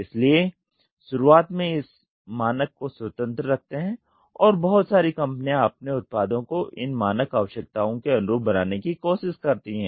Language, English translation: Hindi, So, this standard is let open free at the beginning and lot of companies try to make their products to meet out the standard requirements